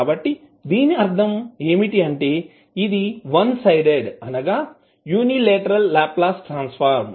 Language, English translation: Telugu, So that means that it is one sided that is unilateral Laplace transform